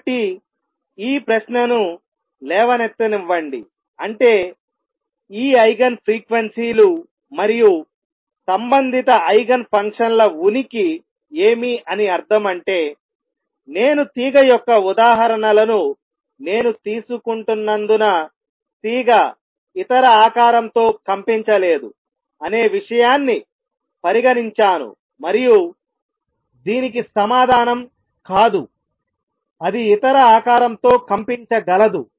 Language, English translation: Telugu, So, does it mean let me raise this question does the existence of Eigen frequencies and corresponding Eigen functions mean that a string since i am taking the examples of string I will just stick to string cannot vibrate with any other shape and the answer is no it can vibrate with any other shape